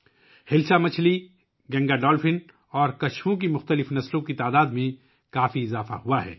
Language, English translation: Urdu, There has been a significant increase in the number of different species of Hilsa fish, Gangetic dolphin and turtles